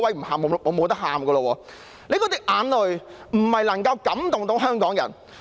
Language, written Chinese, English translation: Cantonese, 林鄭月娥的眼淚不能感動香港人。, Hong Kong people will not be moved by Carrie LAMs tears